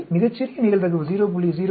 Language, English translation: Tamil, So, we get out a probability very small 0